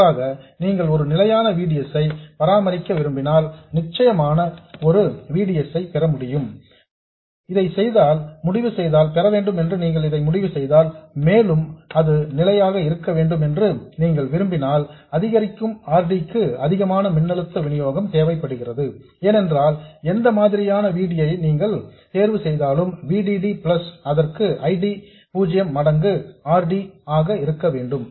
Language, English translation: Tamil, Alternatively, if you want to maintain a fixed VDS, let's say we wanted VDS to be fixed, you decide that you want to have a certain VDS and you want it to be fixed, then increasing RD requires an increase in the supply voltage VDD because VD will have to be whatever VDS you choose plus ID0 times RD